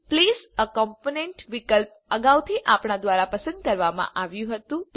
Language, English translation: Gujarati, The Place a component option was previously selected by us